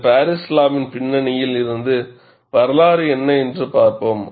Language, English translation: Tamil, And let us see, what was the history behind this Paris law